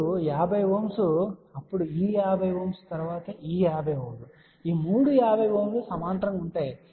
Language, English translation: Telugu, Then what would have happen then 50 ohm then this 50 ohm then this 50 ohm the 3 50 ohms will be in parallel